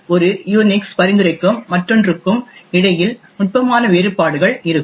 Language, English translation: Tamil, So, there will be subtle variations between one Unix flavour with respect to another